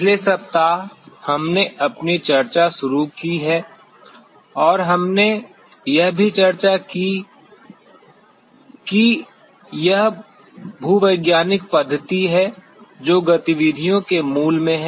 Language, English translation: Hindi, The last week we just began our discussion and we also discussed that it is geological method which lies at the core of the activities